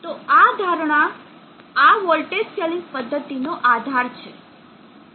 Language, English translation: Gujarati, So this assumption is the bases for this voltage scaling method